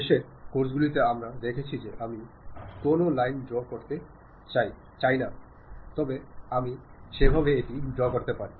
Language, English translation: Bengali, In that, in the last classes, we have seen if I want to draw a line, I can draw it in that way